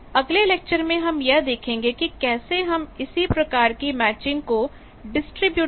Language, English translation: Hindi, In the next lecture, we will see how we can use distributed components to do the same type of matching